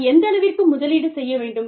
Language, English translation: Tamil, How much, do I invest